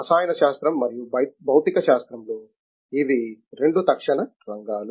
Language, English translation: Telugu, In chemistry and physics, these are the two immediate areas